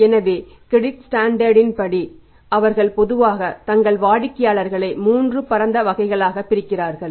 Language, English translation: Tamil, So, as per the credit standards what the company's do they normally divide their customers into three broad categories